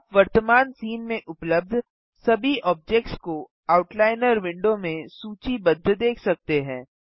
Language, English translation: Hindi, You can see all objects present in the current scene listed in the outliner window